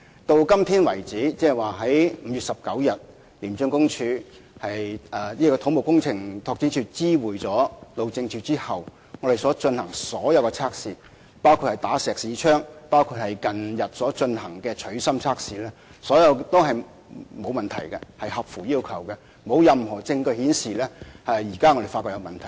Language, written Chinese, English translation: Cantonese, 到今天為止，即自從土木工程拓展署在5月19日知會路政署後，我們進行的所有測試，包括"打石屎槍"測試和近日進行的"取芯"測試，結果都顯示沒有問題，完全符合要求，也沒有任何證據顯示出現問題。, Since CEDD notified HyD on 19 May all tests we have conducted so far including Schmidt Hammer Tests and the recent core tests have not detected problems . All requirements are met and there is no evidence showing that there are problems